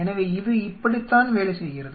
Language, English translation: Tamil, So, this is how it works